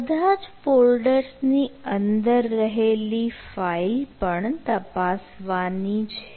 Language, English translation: Gujarati, we need to check all the files inside this, inside the folders also